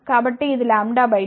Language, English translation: Telugu, So, this is lambda by 2